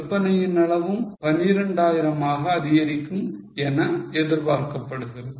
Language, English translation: Tamil, It is expected that sales volume would also rise to 12,000